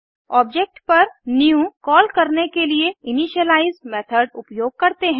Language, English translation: Hindi, On calling new on an object, we invoke the initialize method